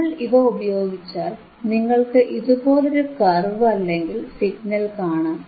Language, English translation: Malayalam, And then when we use this, you will get a curve orlike this, signal like this,